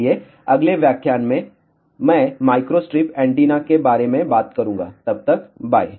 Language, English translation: Hindi, So, in the next lecture I will talk about microstrip antennas till then bye